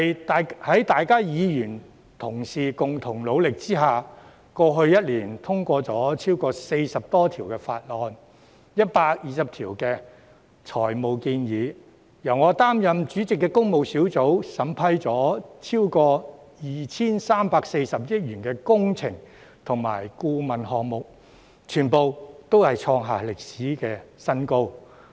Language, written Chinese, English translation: Cantonese, 在各位議員同事共同努力之下，過去1年，立法會通過了40多項法案 ，120 項財務建議；由我擔任主席的工務小組委員會審批了超過 2,340 億元的工程及顧問項目，全部都創下歷史新高。, With the concerted efforts of Members over the past year the Legislative Council has passed some 40 bills and 120 financial proposals while the Public Works Subcommittee chaired by me has approved works and consultancy projects worth more than 234 billion . All these are record highs